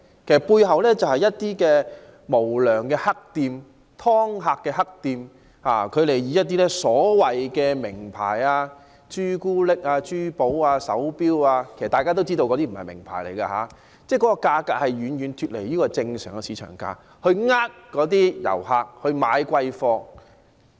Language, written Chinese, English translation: Cantonese, 其實背後就是一些無良黑店、"劏客"的黑店，以一些所謂"名牌"，包括朱古力、珠寶、手錶等作招徠，其實大家也知道那些都不是名牌，但其價格卻遠遠脫離正常的市場價格，從而欺騙遊客買貴貨。, The unscrupulous shops seek to fleece customers by duping tourists into paying excessively high prices for chocolates jewellery watches etc . which are marketed under some supposedly famous brands and sold at prices that far exceed the normal market prices